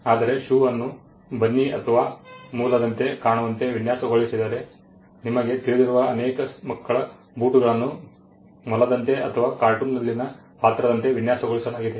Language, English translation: Kannada, Whereas, if a shoe is designed to look like a bunny or a rabbit you know many children shoes are designed like a rabbit or like a character in a cartoon